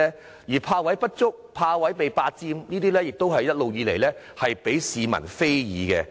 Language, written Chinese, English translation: Cantonese, 至於泊位不足或被霸佔的問題，也一直受到市民非議。, The problems of inadequate parking spaces for EVs or their occupation by non - electric cars have also attracted a lot of public criticisms